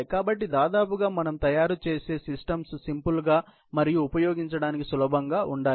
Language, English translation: Telugu, So, by and large, we want to make systems, which are simple and easy to use